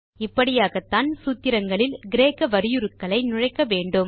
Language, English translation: Tamil, So this is how we can introduce Greek characters in a formula